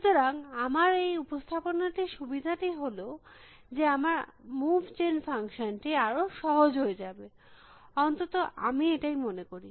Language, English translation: Bengali, So, the advantage I see of this representation is at my move gen function would be simpler, at least that is what I feel